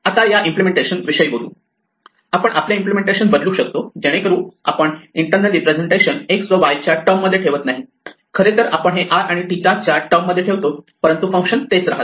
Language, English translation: Marathi, Now speaking of changing implementation, we could change our implementation, so that we do not keep the internal representation in terms of x and y, we actually keep it in terms of r and theta, but the functions remain the same